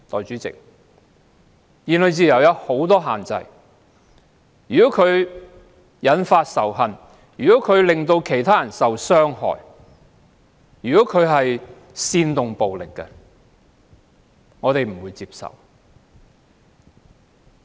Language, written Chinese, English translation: Cantonese, 如果言論自由引發仇恨或令其他人受到傷害，甚至煽動暴力，我們都不能接受。, Freedom of speech is unacceptable if it triggers hatred causes harm to other people or if it even incites violence